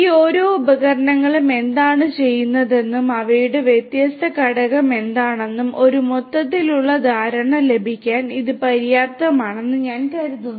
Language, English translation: Malayalam, I think this is sufficient just to get an overall idea of what each of these tools do and what are their different component